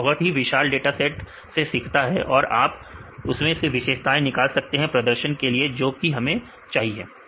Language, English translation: Hindi, So, it learns from very large dataset and you can derive the features to get what the performance we required